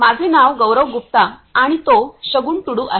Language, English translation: Marathi, My name is Gaurav Gupta and he is Shagun Tudu